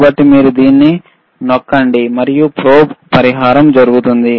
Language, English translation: Telugu, So, you press this and the probe compensation is done